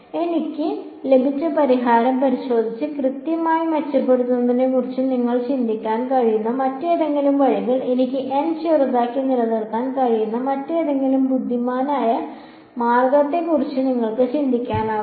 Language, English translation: Malayalam, Any other ways that you can think of improving accuracy looking at the solution that I have obtained can you think of some other cleverer way where I can keep n small yet get a more accurate solution